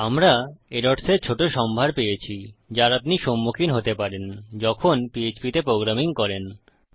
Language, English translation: Bengali, So we have got a small collection of errors that you might come across when you are programming in php